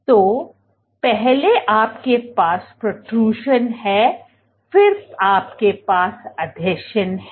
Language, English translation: Hindi, So, first you have protrusion then you have adhesion